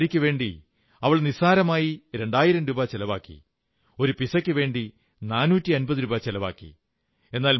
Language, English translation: Malayalam, She coolly spent two thousand rupees on a sari, and four hundred and fifty rupees on a pizza